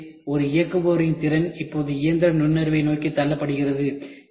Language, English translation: Tamil, So, the skilled of a labour is now tried to pushed towards the machine intelligence itself